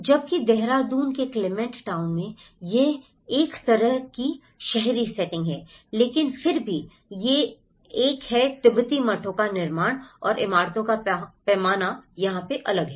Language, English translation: Hindi, Whereas in Clement town in Dehradun it is more of a kind of urban setting but still it has a fabric of the Tibetan monasteries and the scale of the buildings is different here